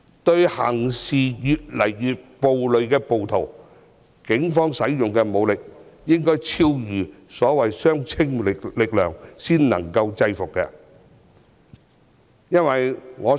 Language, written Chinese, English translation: Cantonese, 對於越來越暴戾的暴徒，警方使用的武力應該超越相稱力量，才能制服對方。, In order to suppress the increasingly violent rioters the Police had to use force higher than the proportionate level